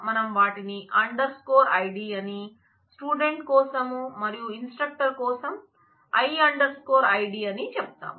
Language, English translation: Telugu, We are calling them as s underscore id and for the student and I underscore id for the instructor